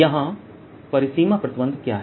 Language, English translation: Hindi, what is the boundary condition here